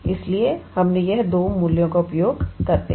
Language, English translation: Hindi, So, we have used these two values